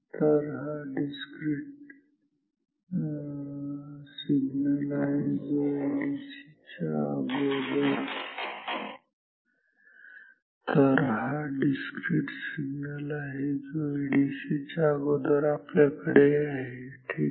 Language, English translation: Marathi, So, this is the discrete signal which we have before ADC ok